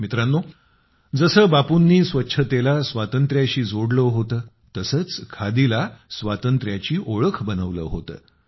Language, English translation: Marathi, Bapu had connected cleanliness with independence; the same way he had made khadi the identity of freedom